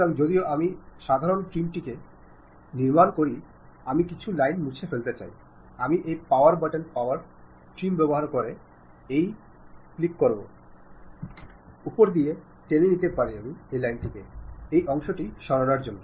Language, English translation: Bengali, So, even though I am constructing typical geometrical things, I would like to remove some of the lines, I can use this power button power trim button to really click drag over that to remove that part of it